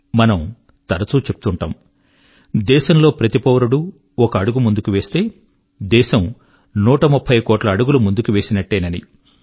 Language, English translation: Telugu, We often say that when every citizen of the country takes a step ahead, our nation moves 130 crore steps forward